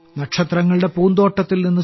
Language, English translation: Malayalam, From the garden of the stars,